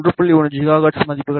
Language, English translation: Tamil, 1 gigahertz, ok